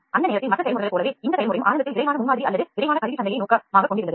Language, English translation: Tamil, As with the other processes at time the process was initially aimed at the rapid prototyping or rapid tooling market